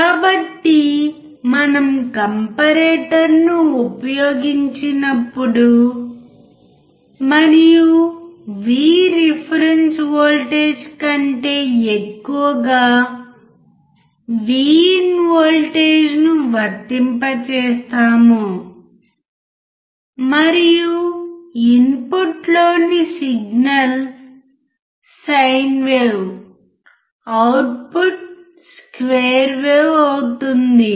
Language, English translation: Telugu, So, the point is that when we use a comparator when we use a comparator and we apply a voltage V IN greater than V reference voltage and the signal in the input is sin wave the output would be square wave